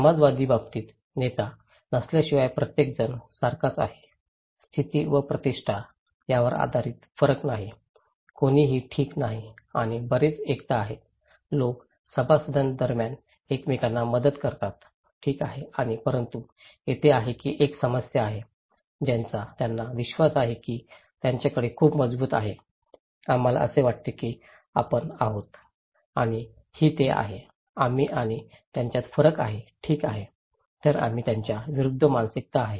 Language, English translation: Marathi, In case of egalitarian, it is like everybody is equal without there is no leader, there is no variation based on status and prestige, no one is okay and there are a lot of solidarities, people help each other between members, okay and but there is a problem that they believe they have a very strong, we feeling that this is we and this is they so, there is a difference between that we and them, okay so, us versus them mentality is there